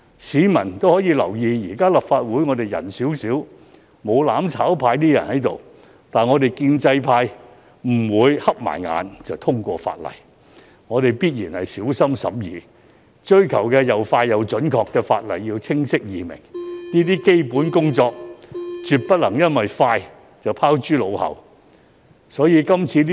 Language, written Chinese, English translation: Cantonese, 市民留意到，現時立法會議員人數較少，沒有"攬炒派"議員存在，但我們建制派也不會閉上眼就通過法例，我們必然小心審議，追求法例又快又準、清晰易明，絕不會因為要"快"便將基本工作拋諸腦後。, As the public are aware the number of Members has reduced in the absence of Members from the mutual destruction camp . However we as pro - establishment Members will not pass legislations with our eyes closed . We will certainly scrutinize legislations carefully to ensure that we make accurate clear and easy - to - understand laws in an expeditious manner